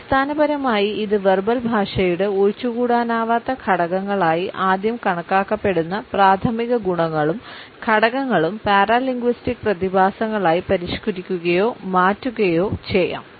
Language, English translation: Malayalam, Basically primary qualities and elements that while being first considered as indispensable constitutes of verbal language may also modified or alternate with it as paralinguistic phenomena